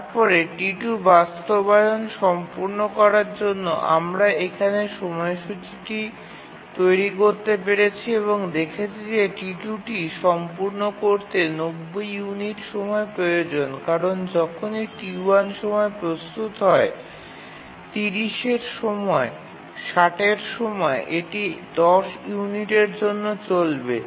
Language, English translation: Bengali, Then for T2 to complete execution, we can draw the schedule here and see that T2 needs 90 units of time to complete because whenever T1 becomes ready during 0, during 30, during 60, it will run for 10 units of time